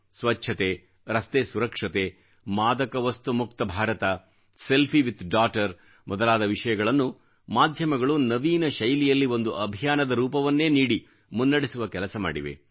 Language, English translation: Kannada, Issues such as cleanliness, Road safety, drugs free India, selfie with daughter have been taken up by the media and turn into campaigns